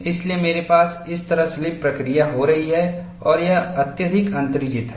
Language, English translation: Hindi, So, I have slipping action taking place like this and it is highly exaggerated